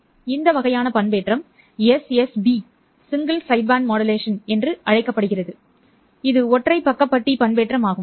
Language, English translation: Tamil, So, this kind of a modulation is called as SSB modulation, which is single sideband modulation